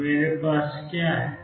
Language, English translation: Hindi, So, what I have is